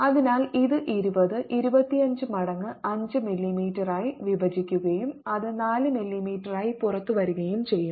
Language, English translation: Malayalam, so this going to be twenty divided by twenty, five times five m m, and that comes out to be four m m